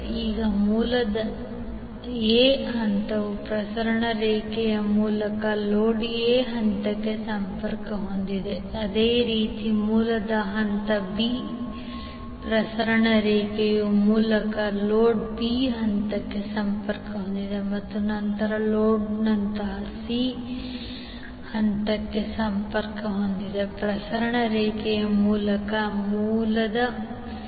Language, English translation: Kannada, So now the phase A of the source is connected to phase A of the load through transmission line, similarly phase B of the source is connected to phase B of the load through the transmission line and then phase C of the load is connected to phase C of the source through the transmission line